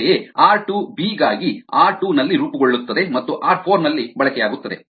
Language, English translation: Kannada, similarly, r two for b, formed at r two and getting consumed at r four